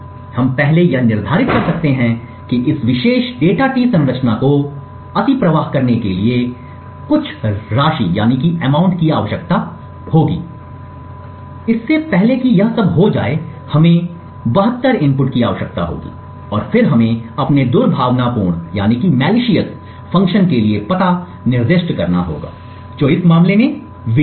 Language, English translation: Hindi, So let us see how we do this from here things are quite similar to what we have done so far in the past in this particular course, we can first determine that the amount in order to overflow this particular data t structure we would require 72 inputs before all of this gets filled up and then we need to specify the address for our malicious function which in this case is winner